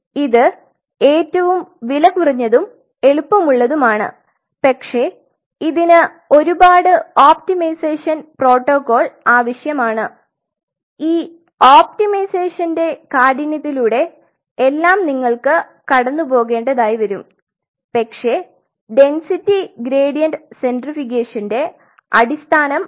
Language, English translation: Malayalam, This is one of the simplest cheapest and easiest, but that needs a whole lot of optimization protocol you really have to go through the rigor of optimization, but the basic fundamental of density gradient centrifugation is this